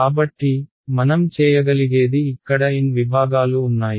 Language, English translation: Telugu, So, what we can do is there are n segments over here